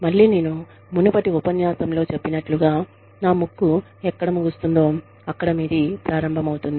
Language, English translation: Telugu, Again, like i said, in the previous lecture, my nose ends, where yours begins